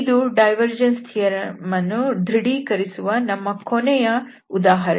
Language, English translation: Kannada, So this is the verification we have done for the divergence theorem